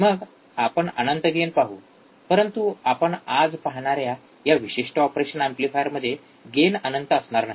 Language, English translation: Marathi, Then we will see infinite gain, we will in this particular operation amplifier the gain will not be infinite that we will see today